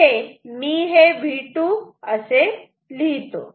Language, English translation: Marathi, So, if this is V 2